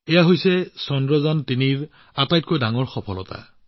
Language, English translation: Assamese, This is the biggest success of Chandrayaan3